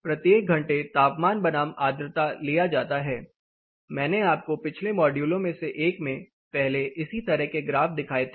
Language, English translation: Hindi, So, each hour the temperature versus humidity is taken I have shown you similar graphs earlier in one of the other modules